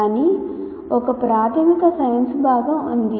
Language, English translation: Telugu, But there is a basic science component